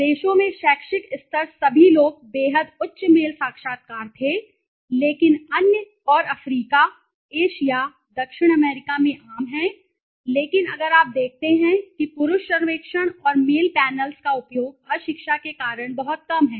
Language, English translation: Hindi, In countries were educational level all the people is extremely high mail interviews are common okay but on other and Africa, Asia, South America however if you see the use of male surveys and mail panels is very low because of illiteracy